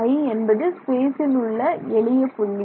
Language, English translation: Tamil, The simplest point in space i